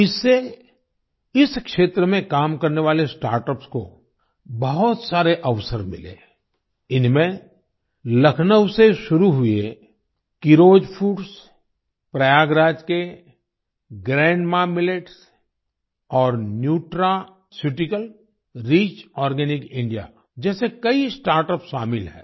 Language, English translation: Hindi, This has given a lot of opportunities to the startups working in this field; these include many startups like 'Keeros Foods' started from Lucknow, 'GrandMaa Millets' of Prayagraj and 'Nutraceutical Rich Organic India'